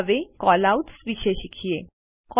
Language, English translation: Gujarati, Now, lets learn about Callouts